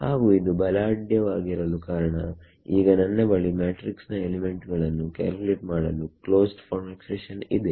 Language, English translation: Kannada, And the reason this is extremely powerful is now I have a closed form expression for calculating the matrix elements